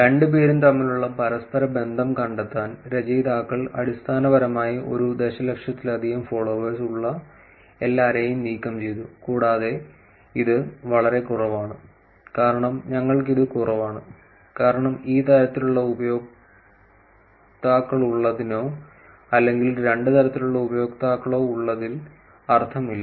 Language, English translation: Malayalam, To find the correlation between the two, authors basically removed a everybody who had greater than one million followers, and too less which is less than one for us, because there is no sense in having or both these types of users because it will actually not, it will basically skew the analysis that we are looking at